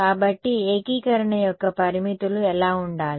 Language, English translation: Telugu, So, what should be the limits of integration